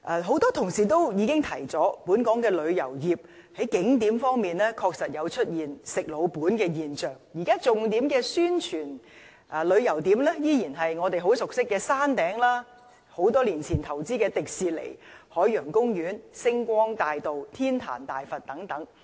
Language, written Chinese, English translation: Cantonese, 很多議員都指出，本港的旅遊業在景點方面，確實出現"食老本"的現象，現在重點宣傳的旅遊景點依然是我們很熟悉的山頂、多年前投資的迪士尼樂園、海洋公園、星光大道及天壇大佛等。, Many Members have pointed out that Hong Kong is actually resting on its own laurels in respect of tourist attractions . At present in promoting our tourist attractions the focus is still the Peak which we are very familiar with as well as Hong Kong Disneyland Ocean Park Avenue of Stars and Giant Buddha in which investments were made long ago